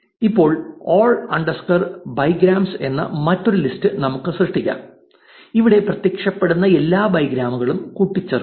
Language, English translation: Malayalam, Now, let us create another list called all underscore bigrams where we will append all the bigrams that are appearing